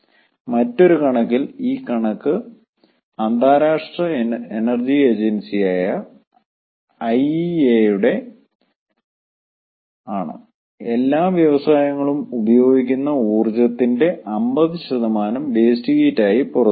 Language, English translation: Malayalam, then by another estimation, and this estimation is by international energy agency iea, fifty percent of the energy consumed by all the industries is released as waste heat